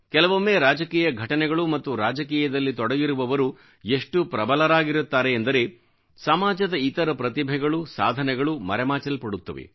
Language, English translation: Kannada, At times, political developments and political people assume such overriding prominence that other talents and courageous deeds get overshadowed